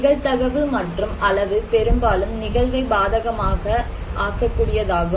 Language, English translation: Tamil, So, probability and magnitude often adverse event